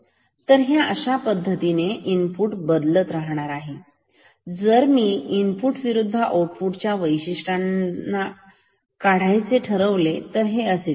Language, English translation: Marathi, So, this is how the input is changing and if I draw a input versus output characteristic this is how it looks like